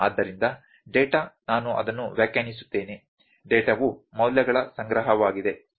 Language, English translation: Kannada, So, data is, the I will put it definition, data is the collection of values